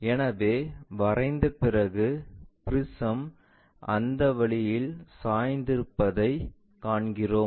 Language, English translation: Tamil, So, after drawing we see that the prism perhaps inclined in that way